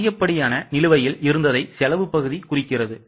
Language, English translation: Tamil, Expenditure part indicates that excess spending was done